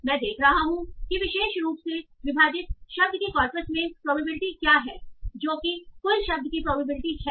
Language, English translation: Hindi, So I am seeing what is the probability of the word in the corpus divide in the particular rating, divide me what is the probability of word overall